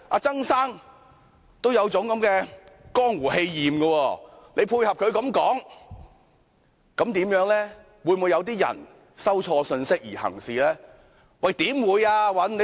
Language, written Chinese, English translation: Cantonese, 曾先生有這樣的江湖氣焰，何議員配合他這樣說話，會否有人錯收信息而行事呢？, With such a kind of arrogance from the underworld would anyone get a wrong message and then do something wrong when Dr HO echoed the speech of Mr TSANG in this way?